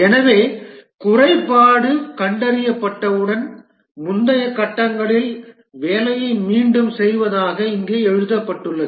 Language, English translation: Tamil, So, that's what is written here that once the defect is detected, redo the work in the previous pages